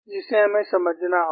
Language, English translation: Hindi, This we will have to understand